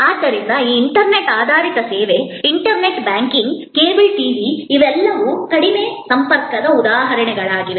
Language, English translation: Kannada, So, these internet based service, internet banking, cable TV, these are all examples of low contact